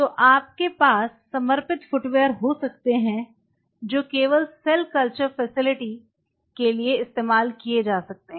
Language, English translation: Hindi, So, you could have very dedicated foot wears which could be used for the cell culture facility itself